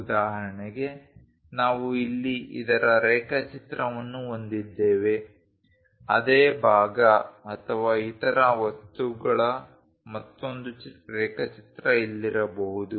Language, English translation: Kannada, For example, we have a drawing of this here, there might be another drawing of the same either part or other things here